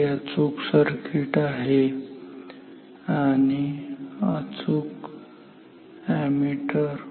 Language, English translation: Marathi, This is the correct circuit, correct ammeter